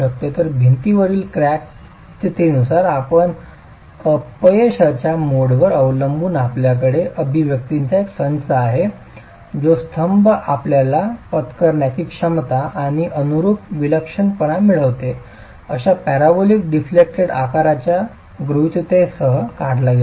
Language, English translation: Marathi, So, depending on the condition in the wall, the crack condition in the wall and depending on the mode of failure, you have a set of expressions which have been derived with the assumption of a parabolic deflected shape for the column, you get the bearing capacity and the eccentricity corresponding to the capacity estimate itself